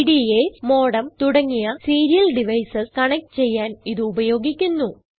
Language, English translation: Malayalam, These are used for connecting PDAs, modem or other serial devices